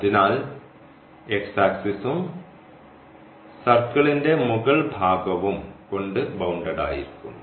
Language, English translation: Malayalam, So, bounded by this x axis and this upper part of the circle